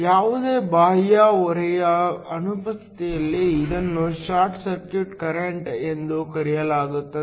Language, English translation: Kannada, In the absence of any external load, it is also called the short circuit current